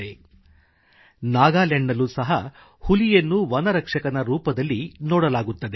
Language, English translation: Kannada, In Nagaland as well, tigers are seen as the forest guardians